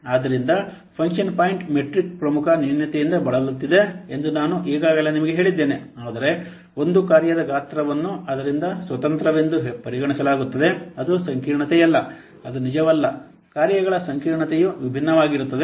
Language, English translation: Kannada, So I have already told you that function point matrix suffers from a major drawback, that means the size of a function is considered to be independent of its complexity, which is not true